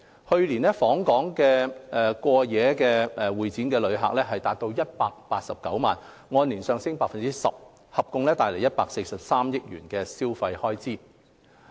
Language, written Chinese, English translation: Cantonese, 去年，訪港過夜會展旅客達189萬，按年上升 10%， 合共帶來143億元的消費開支。, Last year overnight CE visitors reached 1.89 million up 10 % year on year bringing about a total expenditure of 14.3 billion